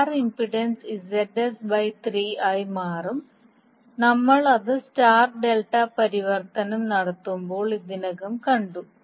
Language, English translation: Malayalam, In that case your source impedance will be become Zs by 3 as we have already seen when we were doing the star delta transformation